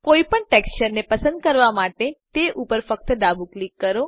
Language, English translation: Gujarati, To select any texture type just left click on it